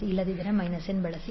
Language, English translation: Kannada, Now what is n